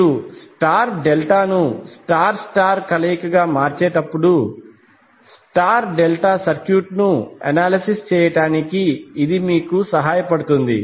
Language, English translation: Telugu, So this will help you to analyze the star delta circuit while you convert star delta into star star combination